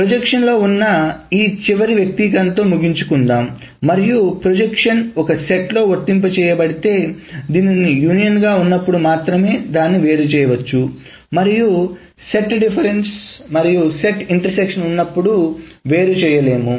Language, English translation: Telugu, And let us finish off with one last expression is on the projection and if the projection is applied on a set, then it can be separated out only when this operator is union and not set difference or intersection